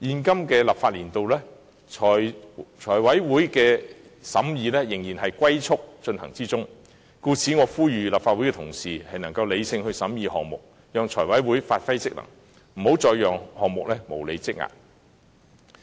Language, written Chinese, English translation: Cantonese, 今個立法年度財委會的審議工作仍然以"龜速"進行，故此我呼籲立法會同事能理性地審議項目，讓財委會發揮職能，不要再讓項目無理積壓。, In the current legislative year the deliberations of the Finance Committee have continued to be conducted at the speed of a tortoise . I therefore appeal to colleagues in the Legislative Council to scrutinize the projects in a rational manner so that the Finance Committee can perform its duties and functions and the projects would not be accumulated for no reason any longer